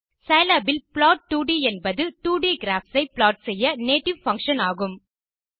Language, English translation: Tamil, For scilab plot 2d is the native function used to plot 2d graphs